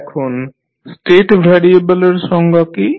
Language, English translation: Bengali, Now, what is the definition of the state variable